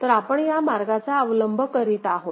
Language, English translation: Marathi, So, we are following this path